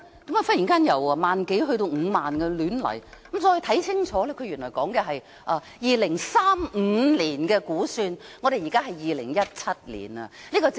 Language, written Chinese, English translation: Cantonese, 為何忽然由1萬多輛增至5萬輛，再看清楚，原來它是指2035年的估算，現在是2017年，這個政府是發夢的！, How come the traffic flow suddenly increase from 10 000 to 50 000? . I look at the paper again and find that it refers to the estimated traffic flow in 2035 and now is 2017 . Is the Government daydreaming or what!